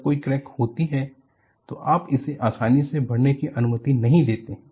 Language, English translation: Hindi, When there is a crack, you do not allow it to propagate easily